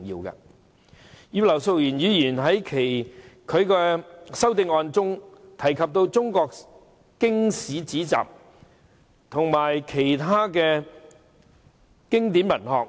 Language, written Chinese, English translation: Cantonese, 葉劉淑儀議員在其修正案中提及中國經史子集和其他經典文學。, In her amendment Mrs Regina IP mentions Chinese classical works historical works philosophical works and belles - lettres as well as other Chinese literary classics